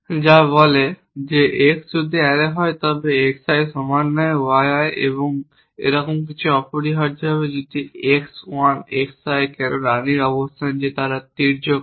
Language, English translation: Bengali, It has a relation which says x if that is the array then xi not equal to y i or something like that essentially if x 1 xi why location of the queen that they are not on the diagonal